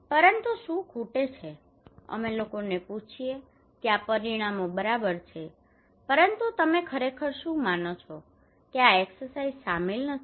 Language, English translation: Gujarati, But what is missing, we ask people that okay these parameters are fine but what did you really think that this exercise did not include